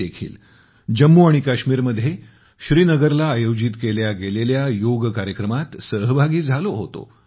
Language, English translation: Marathi, I also participated in the yoga program organized in Srinagar, Jammu and Kashmir